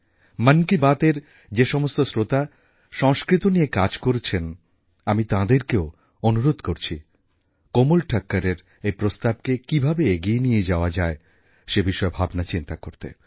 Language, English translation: Bengali, I shall also request listeners of Mann Ki Baat who are engaged in the field of Sanskrit, to ponder over ways & means to take Komalji's suggestion forward